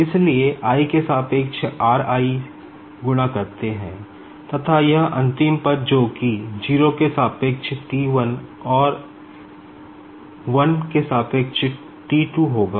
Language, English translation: Hindi, So, multiplied by r i with respect to i, and the last term will be this that is T 1 with respect to 0 T 2 with respect to 1